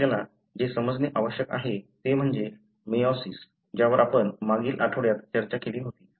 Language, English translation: Marathi, So, what you need to understand is that meiosis, so something that we discussed in the, in the previous week